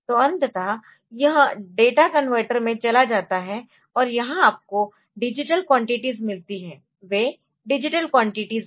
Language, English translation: Hindi, So, ultimately it goes to the data converter, and here what you get are the digital quantities, they are the digital quantities